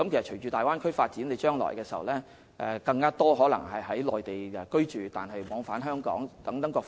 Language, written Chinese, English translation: Cantonese, 隨着大灣區的發展，將來可能會有更多香港市民在內地居住並往返兩地。, With the development of the Bay Area there may be more Hong Kong people residing on the Mainland and travelling between the two places in the future